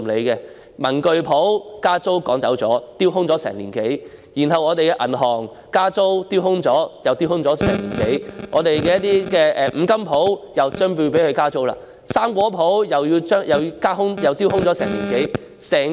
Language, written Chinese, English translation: Cantonese, 有文具鋪因加租而被趕走，鋪位已丟空1年多；銀行也因為加租丟空了1年多；有五金鋪也快將被加租；水果店亦丟空了1年多。, A stationery shop was forced to close down as a result of the rent increase yet the shop space has been left vacant for more than year . For the bank the shop space has been left vacant for one year or so as a result of rent increase . A hardware store will soon face a rent increase